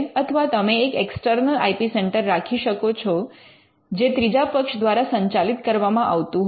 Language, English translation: Gujarati, You can have an external IP centre the IP centre is run by a third party